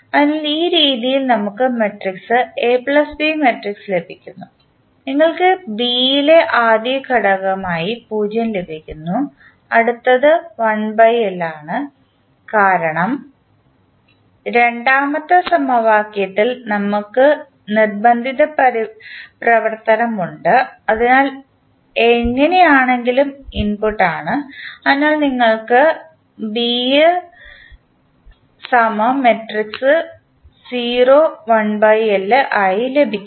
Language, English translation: Malayalam, So, in this way we get matrix A plus B matrix you get 0 in the as a first element in B and then next one is 1 by L, because in the second equation we have the forcing function present, so that is anyway the input, so you get B also as 0, 1 by L